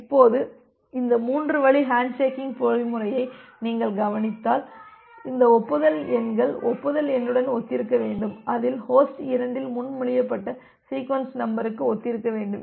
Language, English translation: Tamil, Now, if you look into this three way handshaking mechanism these acknowledgement numbers should corresponds to the acknowledgement number should corresponds to the sequence number that was proposed by host 2 in it is acknowledgement